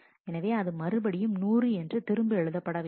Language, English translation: Tamil, So, it writes back 100